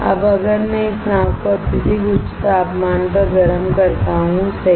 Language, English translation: Hindi, Now, if I heat this boat at extremely high temperature right